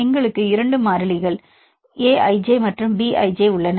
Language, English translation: Tamil, So, here you can see this; here we have two constants A i j and B i j